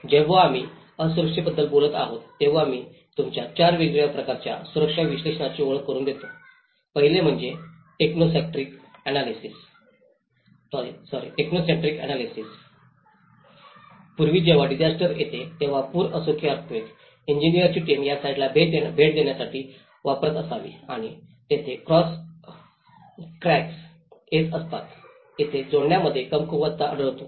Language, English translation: Marathi, When we talk about vulnerability there are, I will introduce you to four different types of vulnerability analysis, the first one is techno centric analysis Earlier, when a disaster happens whether it is a flood or earthquake, the engineer’s team use to visit these site and they also identify where the cracks coming where the joints where the reinforcement defects